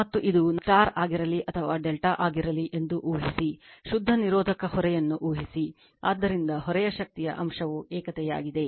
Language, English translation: Kannada, And we are also we are assuming it is a for each whether it is a star or delta does not matter, we assume a pure resistive load, so power factor of the load is unity right